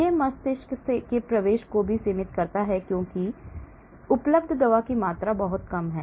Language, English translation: Hindi, it limits also the brain penetration because the amount of drug available is very less